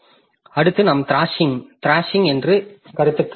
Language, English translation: Tamil, Next we come to the concept of thrashing